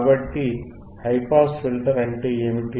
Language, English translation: Telugu, So, what is high pass filter